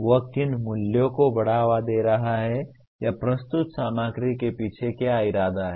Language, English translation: Hindi, What are the values he is promoting or what is the intent underlying the presented material